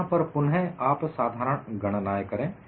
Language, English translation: Hindi, Here, again, do the simple calculation